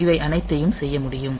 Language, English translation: Tamil, So, all these can be done ok